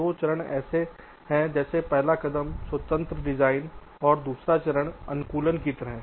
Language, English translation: Hindi, the first step is design independent and the second step is more like customization